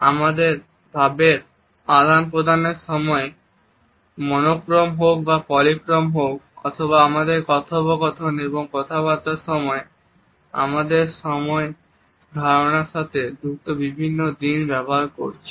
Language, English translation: Bengali, Whether the time we keep in our communication is monochrome or polychrome or whether during our dialogues and conversations we are using different aspects related with our understanding of time